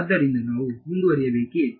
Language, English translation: Kannada, So, should we proceed